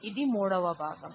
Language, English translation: Telugu, This is a part 3 of that